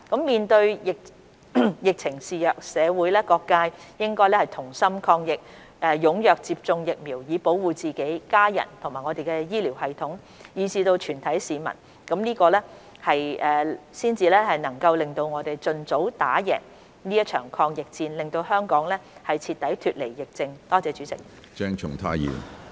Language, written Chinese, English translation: Cantonese, 面對疫情肆虐，社會各界應同心抗疫，踴躍接種疫苗以保護自己、家人、我們的醫療系統，以至全體市民，這樣我們才能盡早打贏這場抗疫戰，讓香港徹底脫離疫症。, Faced with the raging epidemic the community should work together to fight the virus . We encourage citizens to actively get vaccinated so as to protect themselves their families the healthcare system and even the whole population so that Hong Kong can successfully overcome the epidemic as soon as possible